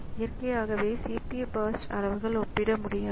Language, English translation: Tamil, So, naturally the CPU burst sizes are not comparable that way